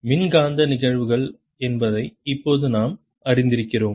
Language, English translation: Tamil, by now we have learnt that electromagnetic phenomena